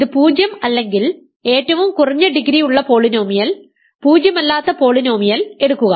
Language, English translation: Malayalam, If it is not 0 take the polynomial, non zero polynomial which has the least degree, in other words